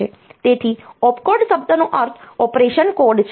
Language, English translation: Gujarati, So, opcode the word stands for operation code